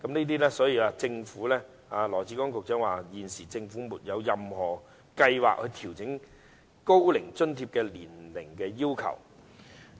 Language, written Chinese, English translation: Cantonese, 當然，政府現時沒有任何計劃調整高齡津貼的年齡要求。, Certainly the Government has no plan to adjust the age requirement of OAA for the time being